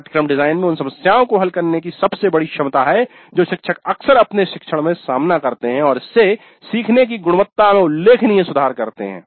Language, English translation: Hindi, Course design has the greatest potential for solving the problems that faculty frequently faced in their teaching and improve the quality of learning significantly